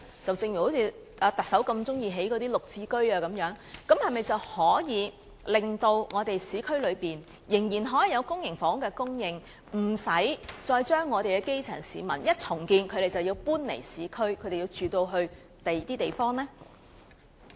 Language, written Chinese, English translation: Cantonese, 行政長官希望興建更多"綠置居"的同時，是否可以令市區仍然有公營房屋供應，讓基層市民無需在重建時便要搬離市區，遷往其他地方？, While the Chief Executive wishes to build more GSH units can there still be public housing supply in the urban area so that the grass roots need not move away from the urban area to some other places during redevelopment?